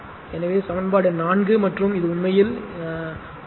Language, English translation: Tamil, So, this is equation 4 and this is equal to R actually right